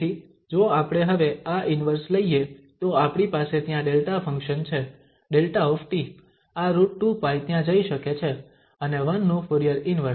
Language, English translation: Gujarati, So, if we take this inverse now, so we have the delta function there, delta t, this square root 2 pi can go there and the Fourier Inverse of 1